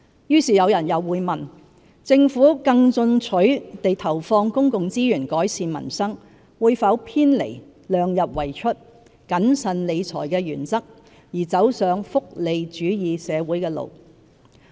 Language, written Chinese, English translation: Cantonese, 於是有人又會問，政府更進取地投放公共資源改善民生，會否偏離量入為出、謹慎理財的原則，而走上福利主義社會的路。, Then some may also question whether the Government will by allocating resources more robustly to improve peoples livelihood deviate from the principles of fiscal prudence and keeping expenditure within the limits of revenues thus embarking on the road to a welfare society